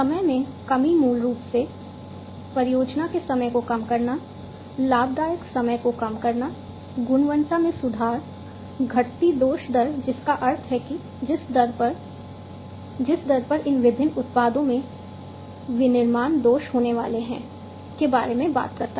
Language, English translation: Hindi, Time reduction basically reducing the project time overrun, decreasing the profitable time etcetera; improving quality talks about decreasing the defect rate that means the rate at in which, rate at which the manufacturing defects in these different products are going to be there